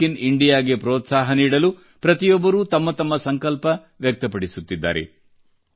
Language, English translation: Kannada, In order to encourage "Make in India" everyone is expressing one's own resolve